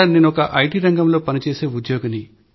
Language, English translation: Telugu, I am an employee of the IT sector